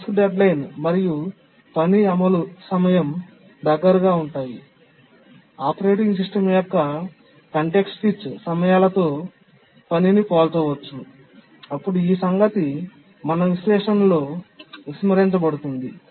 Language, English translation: Telugu, So, when we are task deadlines and the task execution time so close, so comparable to the task, to the context switch times of the operating system, we cannot really ignore them in our analysis